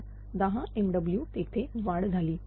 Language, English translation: Marathi, So, 10 megawatt increases there